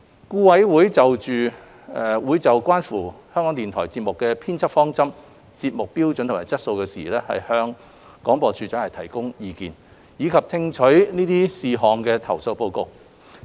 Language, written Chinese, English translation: Cantonese, 顧委會會就關乎港台節目編輯方針、節目標準及質素的事宜，向廣播處長提供意見，以及聽取這些事項的投訴報告。, BoA advises the Director of Broadcasting D of B on all matters pertaining to editorial principles programming standards and quality of RTHK programming and receives reports on complaints against such matters